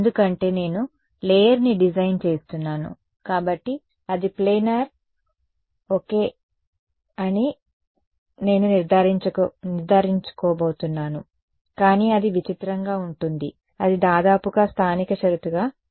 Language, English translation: Telugu, Because I am designing of the layer, so I am going to I make sure that is planar ok, but if it is weird then it is weird then it will only be a local condition approximately too